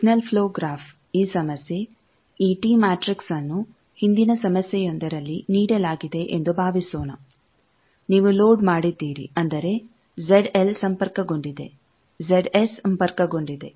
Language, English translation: Kannada, Now, the signal flow graph this problem that suppose this tee matrix was given in an earlier problem also you have also loaded thing that means, Z d L is connected Z d S is connected